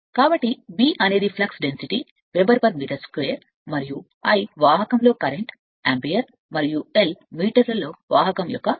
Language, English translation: Telugu, So, B is the flux density Weber per metre square, and I is the current in conductors say ampere, and l is the length of the conductor in metre